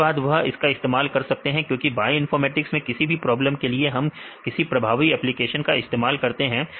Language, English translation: Hindi, Then they can use it because all the bioinformatics problems why we do it because we have some potential applications